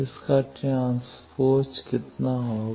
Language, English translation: Hindi, Transpose of this S of t that will be how much